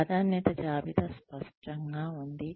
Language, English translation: Telugu, The priority list is clearer